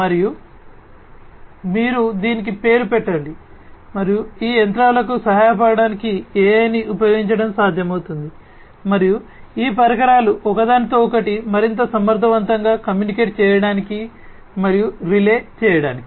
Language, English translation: Telugu, And, you name it and it is possible to use AI in order to help these machines and these equipments communicate and relay information with one another much more efficiently